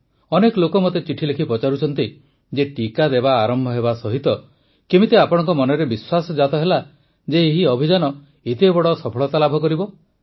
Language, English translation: Odia, Many people are asking in their letters to me how, with the commencement itself of the vaccine, I had developed the belief that this campaign would achieve such a huge success